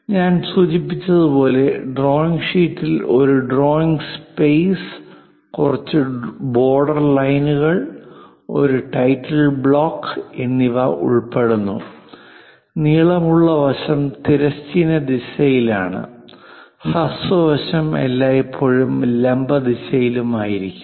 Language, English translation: Malayalam, As I mentioned, drawing sheet involves a drawing space, few border lines, and a title block; longer side always be in horizontal direction, shorter side always be in the vertical direction